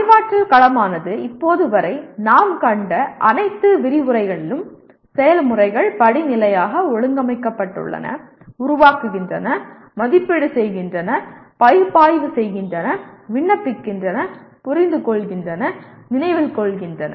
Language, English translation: Tamil, And Cognitive Domain till now through all our lectures we have seen has processes been hierarchically arranged, Create, Evaluate, Analyze, Apply, Understand, and Remember